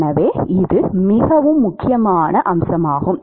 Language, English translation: Tamil, So, it is a very important aspect